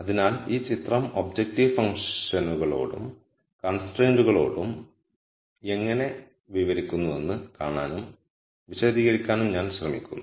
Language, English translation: Malayalam, So, I am just trying to see and explain how this picture speaks to both the objective function and the constraints